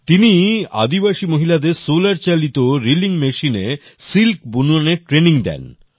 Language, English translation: Bengali, She trains tribal women to spin silk on a solarpowered reeling machine